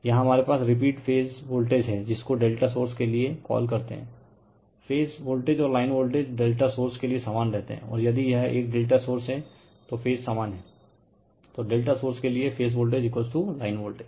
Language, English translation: Hindi, And here we have repeat phase voltage your what you call for delta source, phase voltage and line voltage remain same for delta source and in if it is a delta source is phase are lined same